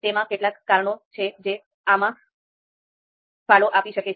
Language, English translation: Gujarati, So, there are few reasons which can contribute to this